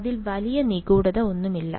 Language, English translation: Malayalam, There is no great mystery to it